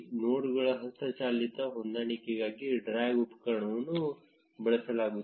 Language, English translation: Kannada, The drag tool is used for manual adjustment of the nodes